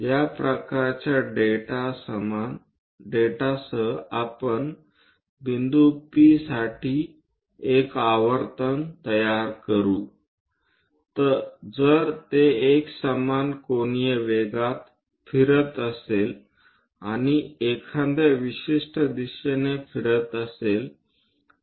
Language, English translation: Marathi, With this kind of data let us construct a spiral for point P if it is moving in uniform angular velocity and also moves along a particular direction